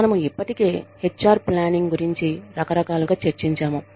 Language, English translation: Telugu, We have already discussed, HR planning, in a variety of ways